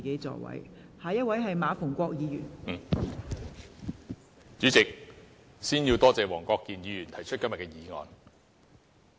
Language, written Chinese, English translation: Cantonese, 代理主席，首先要感謝黃國健議員提出今天的議案。, Before all else Deputy President I would like to thank Mr WONG Kwok - kin for proposing the motion today